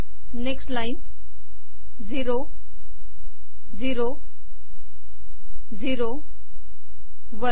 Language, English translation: Marathi, Next line: zero, zero, zero, one